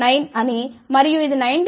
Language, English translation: Telugu, 9 and this was 19